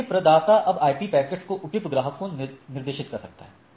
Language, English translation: Hindi, So, the provider can now direct the IP packets to the appropriate customer ok